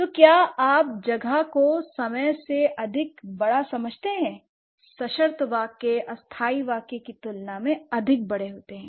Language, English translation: Hindi, So, space, higher than or bigger than time, temporal, higher than or bigger than conditional sentences or conditional phrases